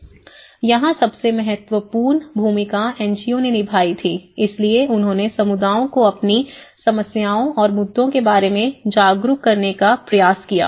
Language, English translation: Hindi, These were the most of the NGOs plays an important role, so they tried to make the communities aware of their own problems and the issues